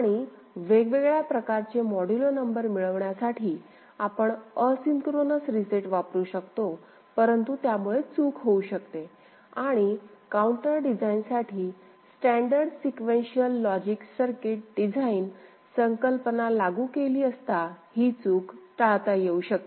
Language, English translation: Marathi, And to get different kind of modulo number we can use asynchronous reset, but that can offer glitch and we can have standard sequential logic circuit design concept applied for counter design where this glitch can be removed ok